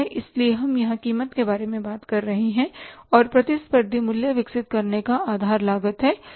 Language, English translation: Hindi, So, we are talking about the price here and the basis of developing a competitive price is the cost